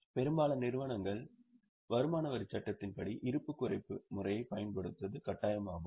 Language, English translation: Tamil, Most of the companies use it and as per incomecome Tax Act it is mandatory to use reducing balance method